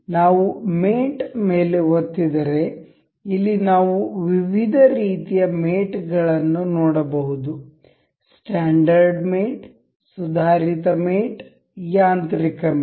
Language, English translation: Kannada, We can see if we click on mate, we can see different kinds of mates here standard mates, advanced mates, mechanical mates